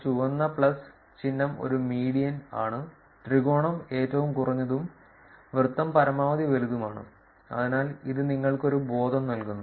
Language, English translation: Malayalam, The red plus symbol is a median, triangle is the minimum, and the circle is the maximum right, so that gives you a sense of